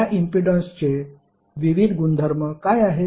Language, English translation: Marathi, What are the various properties of this impedance